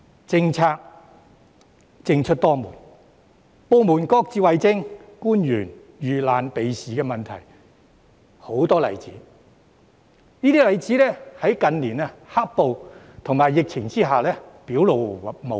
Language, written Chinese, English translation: Cantonese, 政策政出多門、部門各自為政、官員遇難避事的例子很多，而有關問題在近年"黑暴"及疫情下更表露無遺。, There is a myriad of government policies and departments are doing things their own ways . In many instances government officials were evasive in the face of difficulties which had been fully exposed during the black - clad violence and the epidemic in recent years